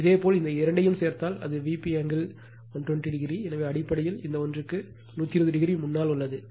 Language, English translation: Tamil, If you add these two, it will be V p angle 120 degree; so, basically leading this one by 120 degree right